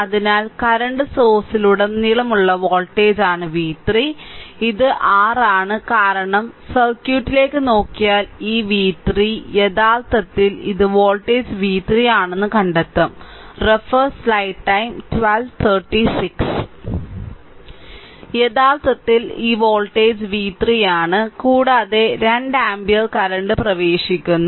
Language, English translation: Malayalam, So, v 3 is the voltage across the current source, this is your because if you look into the circuit that this v 3 ah this v 3 actually this actually this voltage is v 3 right